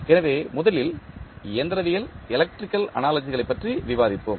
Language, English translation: Tamil, So, first we will discuss about the mechanical, electrical analogies